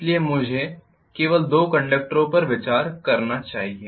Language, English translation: Hindi, So let me consider only two conductors here